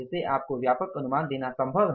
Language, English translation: Hindi, It is possible to give you the broad estimates